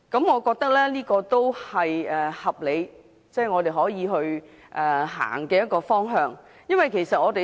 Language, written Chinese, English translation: Cantonese, 我覺得這是合理，我們可以朝這個方向走。, I think this is a sensible move in the right direction